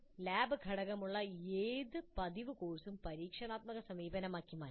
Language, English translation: Malayalam, Any regular course which has a lab component can be turned into an experiential approach